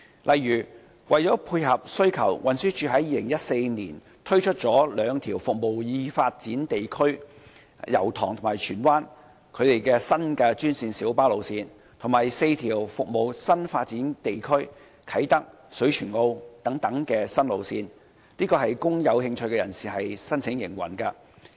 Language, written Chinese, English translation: Cantonese, 例如，為了配合需求，運輸署在2014年推出兩條服務已發展地區的新專線小巴路線，以及4條服務啟德和水泉澳等新發展地區的新路線，供有興趣人士申請營運。, For instance in order to meet the demand the TD introduced two new green minibus GMB routes to serve the developed areas and four new routes to serve the new development areas in 2014 for applications by interested parties